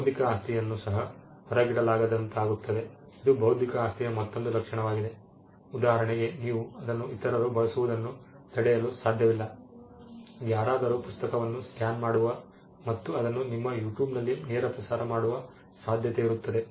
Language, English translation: Kannada, Intellectual property also becomes non excludable this is another trait which they see it is non excludable the fact that intellectual property can be used by some you cannot stop others from using it for instance; somebody scans a book and chooses to put it on a live telecast on you tube